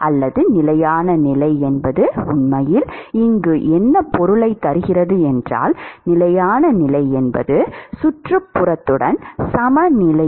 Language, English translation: Tamil, Or the steady state really here means: steady state is equilibrium with the surroundings